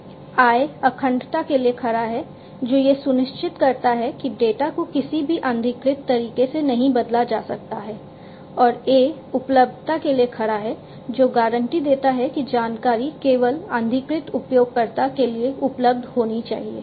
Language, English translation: Hindi, I stands for integrity which ensures that the data cannot be changed in any unauthorized manner and A stands for availability which guarantees that the information must be available only to the authorized user